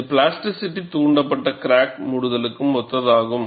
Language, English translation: Tamil, This is similar to the plasticity induced crack closure